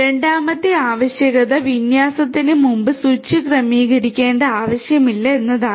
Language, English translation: Malayalam, Second requirement is that there should not be any need to configure switch before deployment right